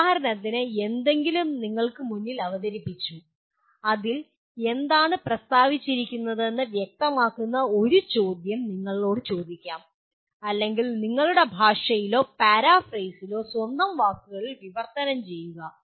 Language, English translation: Malayalam, For example something is presented to you, you can be asked a question clarify what is being stated in that or translate into in your language or paraphrase in your own words